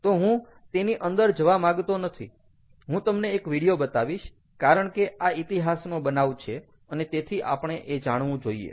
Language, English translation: Gujarati, so and i dont want to get into that, what i will show you slice ah video, because this is a very historic incident, so we should, ah, we should know about it